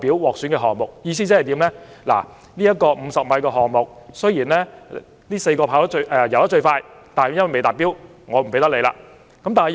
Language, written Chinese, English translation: Cantonese, "意思是，該4名泳手在50米的游泳項目中的時間最快，但由於未達標，因此不獲選。, In other words despite their fastest times in the respective 50 - m swimming events those four swimming athletes were not selected as they failed to meet the criteria